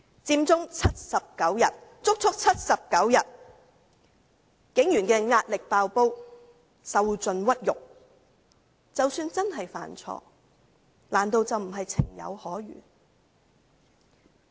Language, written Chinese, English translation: Cantonese, 佔中長達79天，警員的壓力"爆煲"，受盡屈辱，即使真的犯錯，難道不是情有可原？, Occupy Central lasted as long as 79 days . Enduring pressure on the breaking point police officers were subjected to the utmost humiliation . Even if they had made a mistake was that not forgivable?